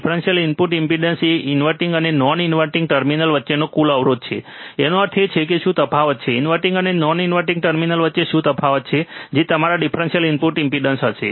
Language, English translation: Gujarati, Differential input impedance is total resistance between inverting and non inverting terminal; that means, what is the difference; what is the difference between inverting and non inverting terminal that will be your differential input impedance